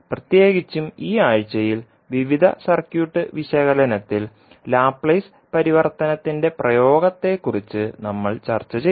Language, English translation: Malayalam, And particularly in this week, we discussed about the application of Laplace Transform in various circuit analysis